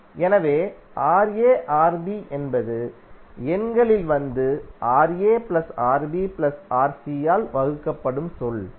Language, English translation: Tamil, So Ra Rb is the term that which will come in numerator and divided by Ra plus Rb plus Rc